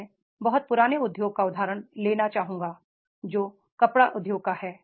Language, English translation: Hindi, I would like to take the example of the very old industry that is of the textile industry